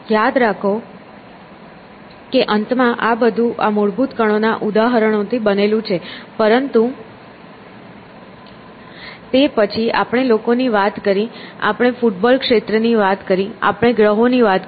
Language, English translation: Gujarati, Remember that in the end everything is made up of examples of this fundamental particles, but then we talk of people, we will talk of football field, we talk of a planet